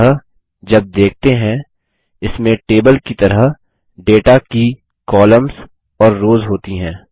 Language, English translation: Hindi, So, when viewed, it has columns and rows of data just like a table